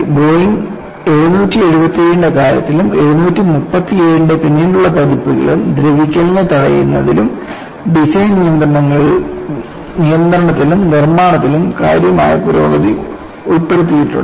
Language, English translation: Malayalam, And in the case of Boeing777 and later versions of 737 have incorporated significant improvements in corrosion prevention, and control in design and manufacturing